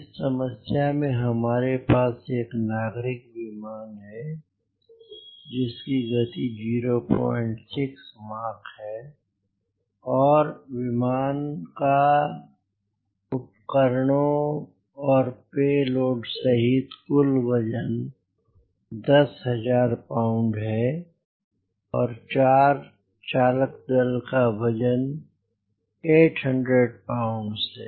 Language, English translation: Hindi, in this problem we have an civilian aircraft with velocity point six, mach number and aircraft carrying total equipment and payload ten thousand pounds and four crew number of eight hundred pound